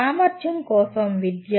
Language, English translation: Telugu, And education for capability